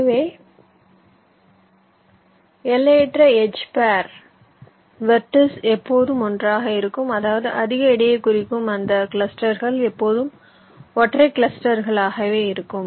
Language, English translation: Tamil, so the infinite edge pair of vertices, they will always remain together, which means those clusters which are representing higher voltage, they will always remain as single clusters